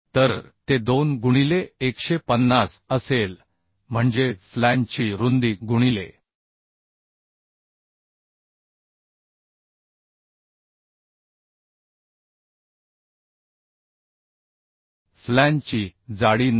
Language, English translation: Marathi, 1 so it will be a 2 into 150 is the uhh flange width into flange thickness is 9